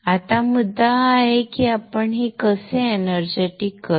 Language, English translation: Marathi, Now the issue is how do we energize this